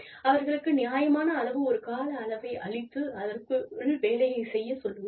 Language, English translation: Tamil, Give them, a reasonable period of time, in which, they can perform